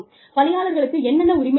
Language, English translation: Tamil, Employees, do not know, what they are entitled to